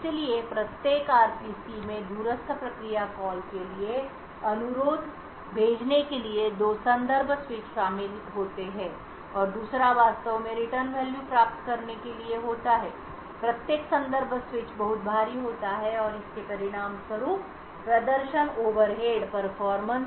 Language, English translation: Hindi, So every RPC involves two context switches one to send the request for the remote procedure call and the other one to actually obtain the return values, each context switch is very heavy and therefore would result in performance overheads